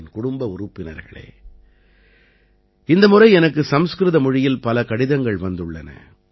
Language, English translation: Tamil, My family members, this time I have received many letters in Sanskrit language